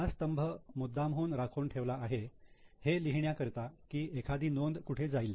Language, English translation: Marathi, This column is specially kept for writing where a particular item will go